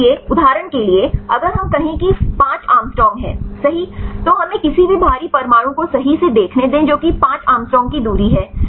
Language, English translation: Hindi, So, for example, if we say 5 angstrom right let us see any heavy atoms right which is a distance of 5 angstrom